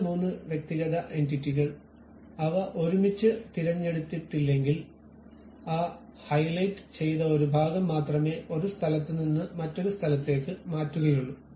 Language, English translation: Malayalam, If two three individual entities, if they are not selected together, only one of that highlighted portion will be moved from one location to other location